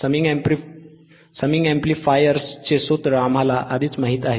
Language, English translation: Marathi, We already know the formula of summing amplifiers